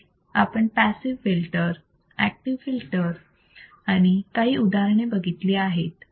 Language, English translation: Marathi, We have seen the passive filter, active filter and some of the examples